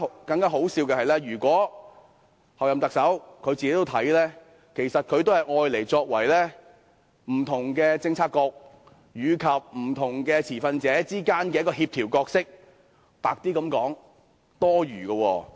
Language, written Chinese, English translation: Cantonese, 更可笑的是，候任行政長官自己亦只將中策組視為在不同政策局及不同持份者之間的協調者；說得白一點，是多餘的。, What is more ridiculous is that the Chief Executive - elect herself also merely regards CPU as a coordinator among different Policy Bureaux and stakeholders . To put it more bluntly it is redundant